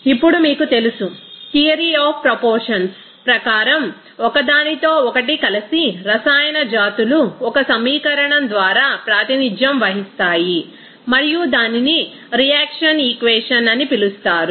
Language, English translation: Telugu, Now, you know that theory of the proportions in which chemical species that combined with one another in a reaction as represented by an equation and that will be called as equation of reaction